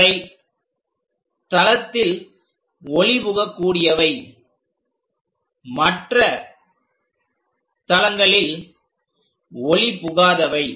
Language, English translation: Tamil, These are transparent in one of the planes and opaque on other planes